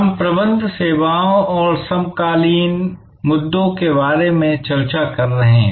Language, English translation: Hindi, We have been discussing about Managing Services and the contemporary issues